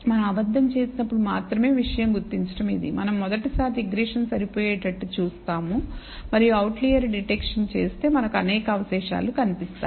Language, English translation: Telugu, The only thing when we do out lie detection is this, it may turn out that we do that first time we fit a regression, and do an outlier detection we may find several residuals